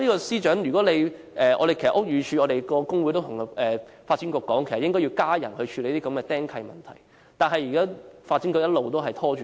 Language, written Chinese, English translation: Cantonese, 司長，如果你......屋宇署的工會其實曾向發展局要求增加人手處理"釘契"問題，但發展局一直拖延。, Secretary if you The trade union of the Buildings Department once put forward a request to the Development Bureau for an increase in manpower to follow up on the encumbrances but the Bureau has been stalling on the issue